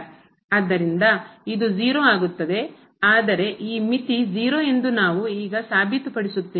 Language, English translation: Kannada, So, this will become 0, but what we will prove now that this limit is 0